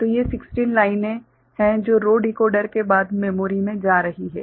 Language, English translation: Hindi, So, these are the 16 lines that are going to the memory after the row decoder